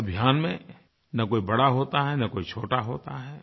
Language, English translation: Hindi, No one is big or small in this campaign